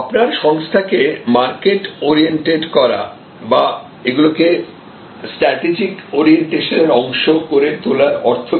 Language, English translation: Bengali, What does it mean to make your organization market oriented or all part of the strategic orientation